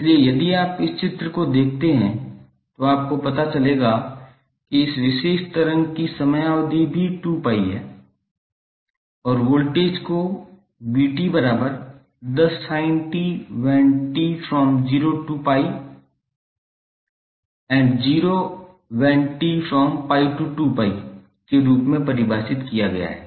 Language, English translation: Hindi, So if you see this figure you will come to know that the time period of this particular waveform is also 2pi and the voltage is defined as 10 sin t for 0 to pi and it is 0 between pi to 2pi